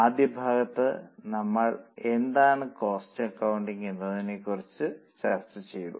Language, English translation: Malayalam, In our first session, we discussed about what is cost accounting